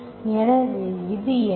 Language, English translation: Tamil, So what is this one